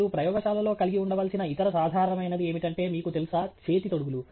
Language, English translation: Telugu, The other most common thing that you should have in a lab is, you know, a set of gloves